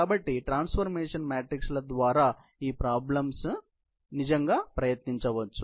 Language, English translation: Telugu, So, you will have to write the transformation matrix in this particular case